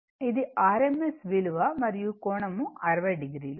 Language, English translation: Telugu, It is this is the rms value and angle 60 degree right